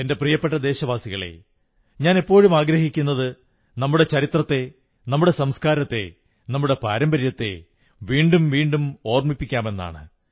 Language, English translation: Malayalam, My dear countrymen, I maintain time & again that we should keep re visiting the annals of our history, traditions and culture